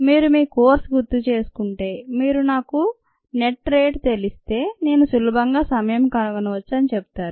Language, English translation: Telugu, if you recall, your course, you would say: if i know the net rate, i can very easily find the tank